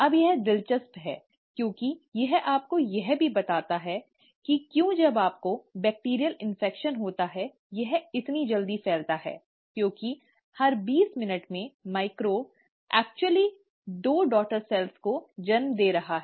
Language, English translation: Hindi, Now that's interesting because this should also tell you why once you have a bacterial infection, it just spreads so quickly because every twenty minutes, the microbe is actually giving rise to two daughter cells